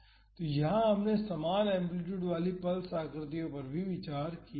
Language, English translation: Hindi, So, here we have considered pulse shapes with equal amplitude